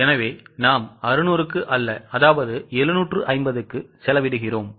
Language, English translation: Tamil, So, we are spending on 750 not on 600